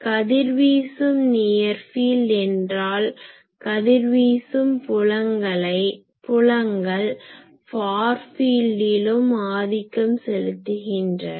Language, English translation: Tamil, Radiating near field means, radiating fields predominate that in far fields also they predominant